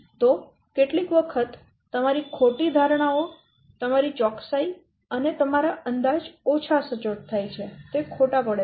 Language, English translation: Gujarati, So sometimes due to wrong assumptions, your estimate, it becoming less accurate, it is becoming wrong